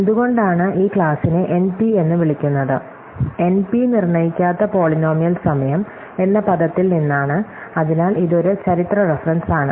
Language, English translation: Malayalam, So, why is this class called NP, so NP comes from the word non deterministic polynomial time, so this is a historical reference